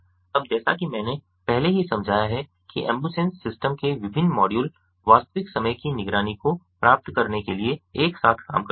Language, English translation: Hindi, as i have already explained, the different modules of the ambusens system work together to achieve real time monitoring here